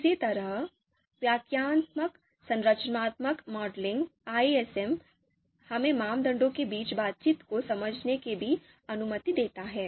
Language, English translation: Hindi, Similarly interpretive structural modeling, this also allows us to understand the interactions between the criteria